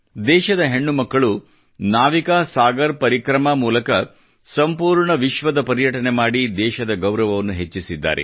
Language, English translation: Kannada, Daughters of the country have done her proud by circumnavigating the globe through the NavikaSagarParikrama